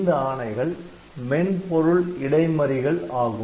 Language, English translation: Tamil, So, all the software interrupts